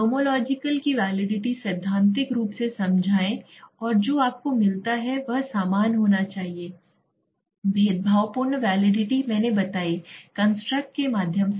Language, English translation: Hindi, Nomological validity explain theoretical and what you get that should be similar, discriminative validity I explained through the constructs right